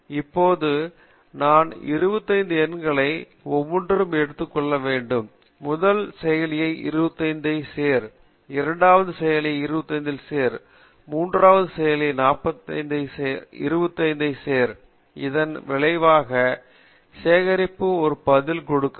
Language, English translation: Tamil, Now, I need to say take 4 chunks of 25 numbers each, make the first processor add 25, second processor add 25, third processor add 25 and then collect a result and give one answer so is the difference between sequential program and a parallel program